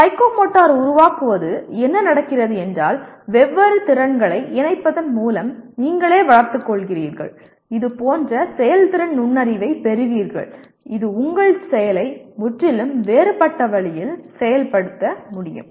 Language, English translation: Tamil, Then what happens psychomotor creating means you yourself develop by combining different skills you get such a performance insight that you are able to execute your action in completely different way